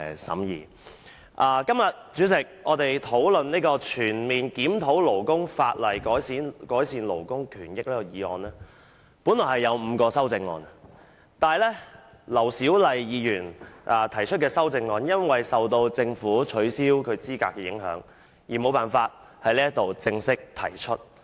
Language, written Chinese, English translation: Cantonese, 主席，今天我們討論"全面檢討勞工法例，改善勞工權益"的議案，議案本來有5項修正案，但是，對於劉小麗議員提出的修正案，由於政府取消她的議員資格，因而無法在議會正式提出。, President today we are here to discuss the motion on Conducting a comprehensive review of labour legislation to improve labour rights and interests . Originally five amendments have been proposed to the motion . But with regard to the amendment proposed by Dr LAU Siu - lai given her disqualification from office as a Member by the Government her amendment cannot be formally proposed in this Council